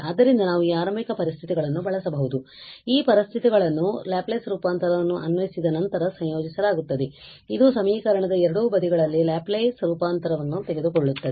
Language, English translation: Kannada, So, we can use these given initial conditions so these conditions are incorporated just after apply the Laplace transform taking the Laplace transform on both the sides of equation